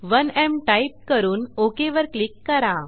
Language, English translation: Marathi, Type 1M and click on OK